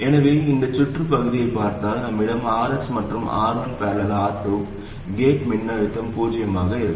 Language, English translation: Tamil, So if you look at this part of the circuit, we have RS and R1 parallel R2 and the gate voltage is 0